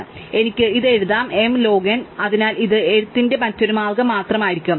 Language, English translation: Malayalam, So, I can also write this is m log n, so this will be just another way of writing